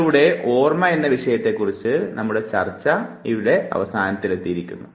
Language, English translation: Malayalam, And with this we have come to an end to our discussion on the topic memory